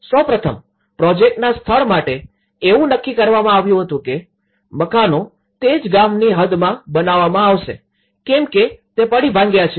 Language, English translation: Gujarati, First of all, the site of the project it was decided that the houses will be built in the same village boundaries as the demolished houses that is number 1